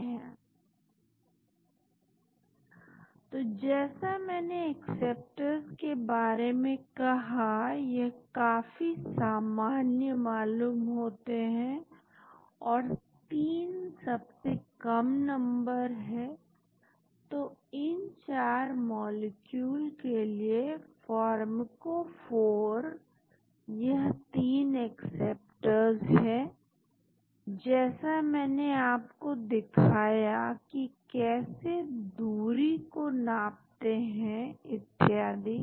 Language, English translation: Hindi, So, like I said acceptors, they seem to have that is very common and 3 is the minimum number so, the pharmacophore for these 4 molecules is 3 acceptors as I showed you how to measure the distances and so on